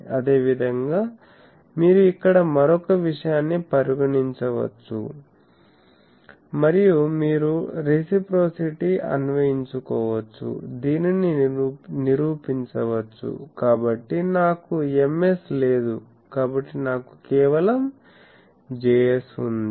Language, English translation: Telugu, The same way you can consider another point here and then you invoke in reciprocity, this can be proved so I do not have an Ms so I have simply a Js